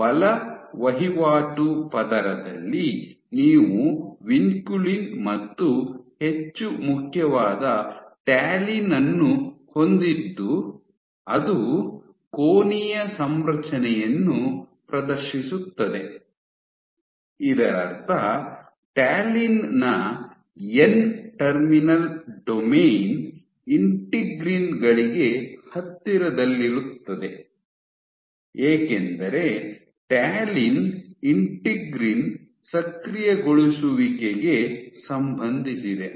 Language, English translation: Kannada, In force transaction layer you have Vinculin and more important Talin which exists, which exhibits a angular configuration, which means that you are n terminal domain of Talin would be present close to integrins because Talin has been associated with integrin activation ok